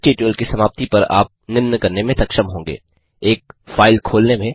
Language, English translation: Hindi, At the end of this tutorial, you will be able to, Open a file